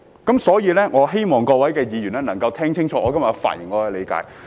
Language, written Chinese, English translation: Cantonese, 因此，我希望各位議員能夠聽清楚我今天的發言，明白我的理解。, For this reason I hope that Members listen carefully to my speech today and understand my interpretation